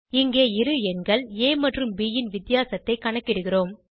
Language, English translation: Tamil, And here we calculate the difference of two numbers a and b